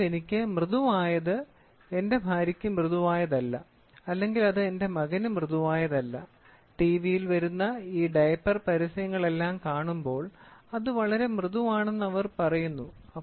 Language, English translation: Malayalam, So, what is soft for me is not soft for my wife or it is not soft for my son and when you see all these diaper advertisements which is coming TV, they say it is very soft